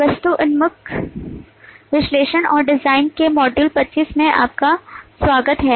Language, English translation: Hindi, Welcome to module 25 of object oriented analysis and design